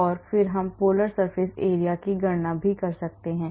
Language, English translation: Hindi, And then we can also calculate polar surface area